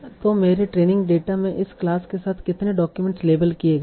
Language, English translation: Hindi, So that is in my training data how many documents have been labeled with this class